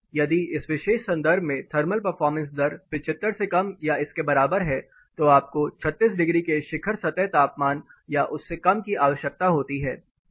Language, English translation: Hindi, If the thermal performance rating is less than or equal to 75 in this particular context you require 36 degrees peak surface temperature or lesser